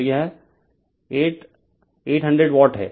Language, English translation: Hindi, So, it is 8 800 Watt